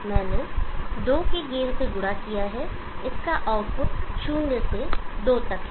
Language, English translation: Hindi, I multiplied by a gain of two, the output of this has valued from zero to two